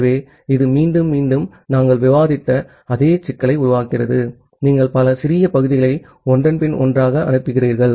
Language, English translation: Tamil, So, this again create the same problem that we were discussing earlier that you are sending multiple small segments one after another